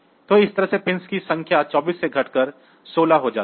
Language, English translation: Hindi, So, that way the number of pins reduce from 24 to 16